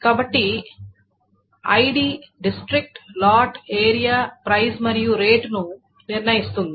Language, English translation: Telugu, So ID determines this district, lot, area and price and rate